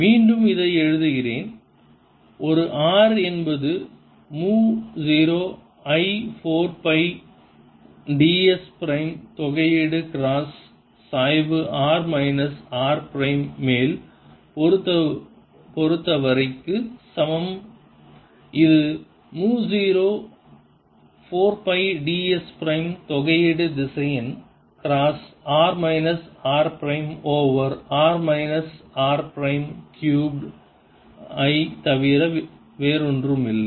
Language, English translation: Tamil, but let me write it again: a r is equal to mu zero i over four pi integral d s prime cross gradient with respect to primed variable over r minus r prime, which is nothing but mu zero